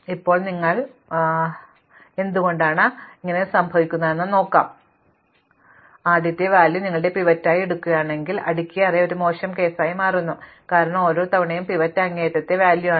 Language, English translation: Malayalam, The worst case occurs, because the pivot that we choose could be a bad pivot, as we saw if you put the first element as your pivot, then a sorted array becomes a worst case, because every time the pivot is the extreme element